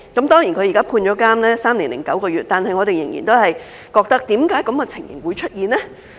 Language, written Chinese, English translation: Cantonese, 雖然她現在被判處監禁三年零九個月，但我們仍然會問：為何這種情形會出現呢？, Although she is now sentenced to three years and nine months of imprisonment we still want to ask Why would such a situation happen?